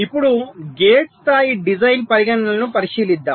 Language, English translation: Telugu, ok, now let us look at the gate level design considerations